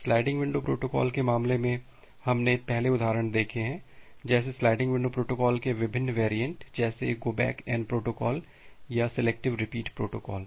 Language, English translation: Hindi, Like the examples that we have looked earlier in the case of sliding window protocols; different variants of sliding window protocols like the go back N protocol or the selective repeat protocol